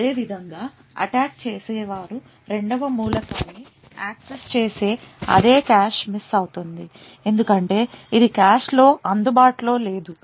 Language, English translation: Telugu, Similarly if the attacker accesses the second element it would also result in a cache miss because it is not available in the cache